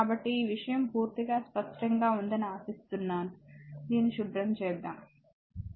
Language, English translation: Telugu, So, hope this thing is totally clear to you so, let me clean this right